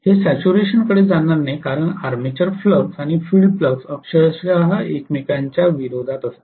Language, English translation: Marathi, It will not go to saturation because the armature flux and the field flux are literally in opposition to each other, literally